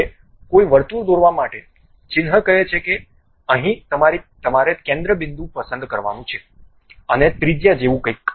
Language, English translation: Gujarati, Now, to draw any circle, the icon says that there is something like center point you have to pick, and something like a radius